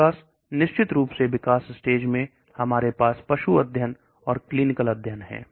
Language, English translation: Hindi, Of course the development stage we have the animal studies and clinical studies